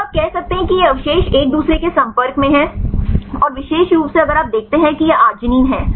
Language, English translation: Hindi, So, you can say these residues are in contact with each other and specifically if you see this is the arginine